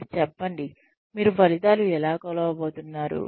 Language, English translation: Telugu, Tell them, how you are going to measure, the outcomes